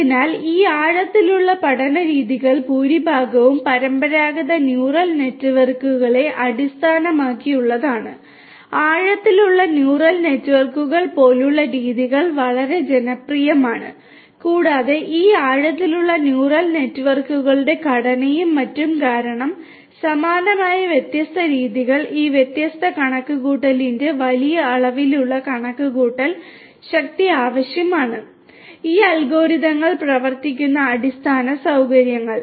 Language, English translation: Malayalam, So, most of these deep learning methods are based on traditional neural networks; techniques, such as methodologies such as deep neural networks are quite popular and because of the structure of these deep neural networks and so on and the similar kinds of methodologies that are present what is required is to have large amounts of computation power of these different you know of the computational infrastructure which run these algorithms